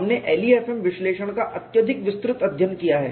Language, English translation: Hindi, We have learnt exhaustively LEFM analysis